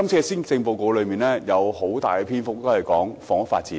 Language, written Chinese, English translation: Cantonese, 施政報告花了很大篇幅處理房屋發展。, The Policy Address has devoted long treatment to housing development